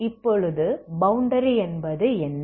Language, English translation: Tamil, Now what is the boundary